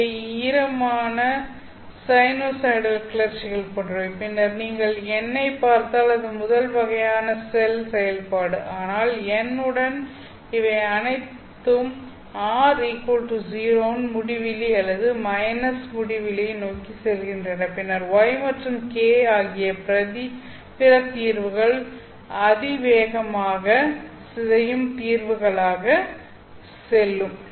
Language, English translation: Tamil, These are like damped sinusoidal excitations and then if you look at n that is the cell function of the first kind but with n you will see that these are all going towards infinity or rather minus infinity at r equal to zero then the other solutions namely y and k the solution for y will go as exponentially decaying solutions